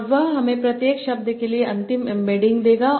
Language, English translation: Hindi, And that will give me the final embedding for each word